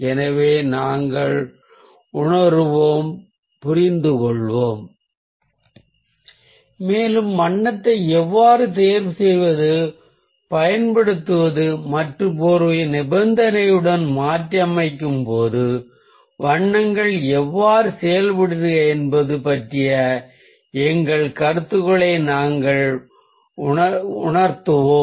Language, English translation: Tamil, so we will realise, we'll understand all these things and we'll totally clear our ideas of how to choose colour, how to apply colour and how colours react ah when gesture pose in a condition